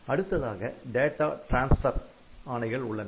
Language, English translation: Tamil, Then we have got the data transfer instructions